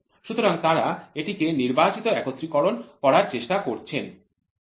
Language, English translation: Bengali, So, they try to make it as selective assembly